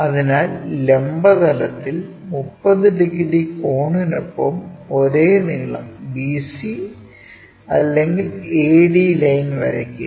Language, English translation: Malayalam, So, draw the same length BC or AD line with an angle 30 degrees in the vertical plane